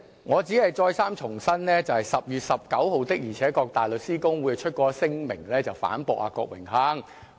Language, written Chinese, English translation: Cantonese, 我只是重申，大律師公會的確在10月19日發出聲明，反駁郭榮鏗議員。, I am only reiterating that the Bar Association indeed issued a statement on 19 October to rebuke Mr Dennis KWOK